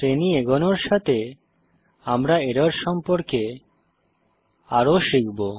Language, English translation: Bengali, As the series progresses, we will learn more about the errors